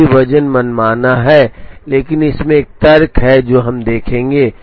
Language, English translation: Hindi, Right now the weights are arbitrary, but there is a logic in this which we will see